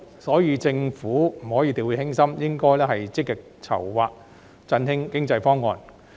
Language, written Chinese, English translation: Cantonese, 因此，政府絕不可掉以輕心，應該要積極籌劃振興經濟的方案。, Therefore the Government should by no means take the matter lightly . Instead it should proactively prepare proposals for reviving the economy